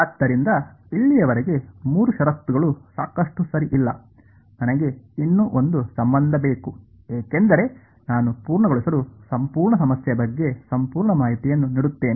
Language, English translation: Kannada, So, three conditions so far right is that enough not really right I need one more relation because I to complete give full information about the whole problem